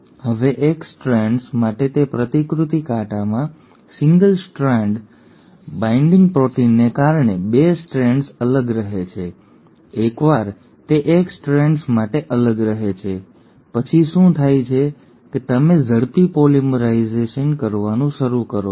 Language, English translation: Gujarati, Now in that replication fork for one of the strands, the 2 strands remain separated thanks to the single strand binding proteins, once they remain separated for one of the strands, what happens is you start having a quick polymerisation